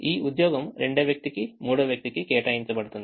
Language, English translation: Telugu, this job is assigned to the second person, third person